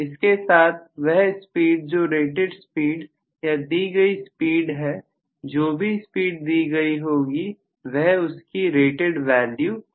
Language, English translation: Hindi, with the speed being at rated speed or given speed, whatever is the given speed that will be at rated value